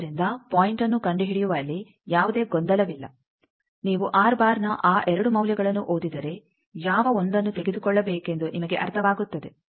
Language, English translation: Kannada, So, no confusion in locating the point if you just read those 2 values of r you will understand which 1 to take